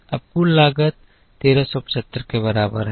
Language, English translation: Hindi, Now, total cost is equal to 1375